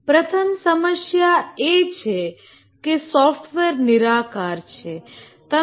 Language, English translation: Gujarati, The first problem is that software is intangible